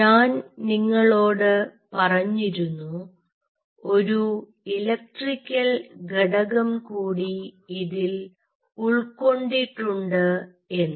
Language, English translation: Malayalam, having said this, i told you that there is an electrical component involved in it